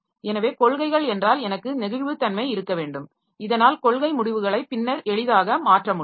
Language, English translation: Tamil, So, if the policy is I should have flexibility so that policy decisions are changed can be changed easily later